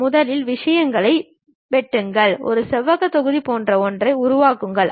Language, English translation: Tamil, First I will make something like a rectangular block